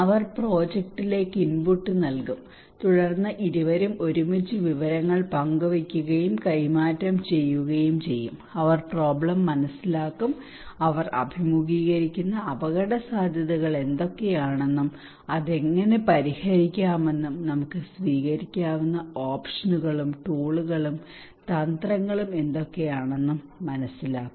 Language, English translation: Malayalam, They would also provide input to the project and then both of them together by sharing and exchanging informations would develop first they would understand the problem what are the risk they are facing and how it can be solved and what are the options, tools and strategies that we can adopt